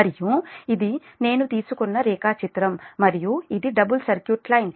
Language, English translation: Telugu, this is a diagram i have taken and this is a double circuit line